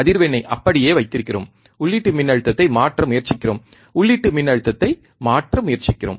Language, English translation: Tamil, We have cap the frequency as it is, and we have we are trying to change the input voltage, we are trying to change the input voltage